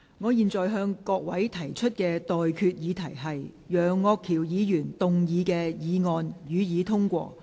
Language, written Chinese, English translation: Cantonese, 我現在向各位提出的待決議題是：楊岳橋議員動議的議案，予以通過。, I now put the question to you and that is That the motion moved by Mr Alvin YEUNG be passed